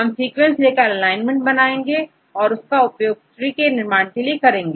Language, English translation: Hindi, We take the sequences and make the alignment right, and use the alignment as the input for constructing tree